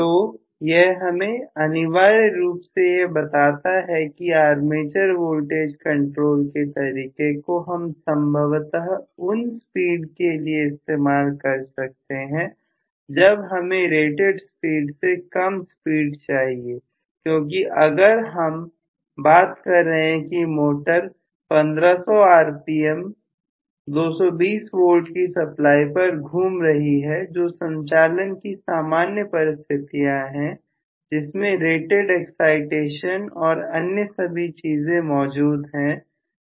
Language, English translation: Hindi, So this essentially tells me actually that we are having you know the armature voltage control method possible again for speed less than the rated speed preferably because if I am talking about a motor rotating at 300 rpm with a 220 volt supply normally, under normal operating conditions with rated excitations and so on and so forth